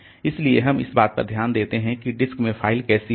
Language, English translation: Hindi, So, we keep a note like how the files will be there in the in the disk